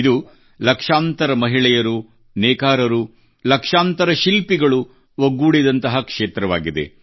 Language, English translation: Kannada, This is a sector that comprises lakhs of women, weavers and craftsmen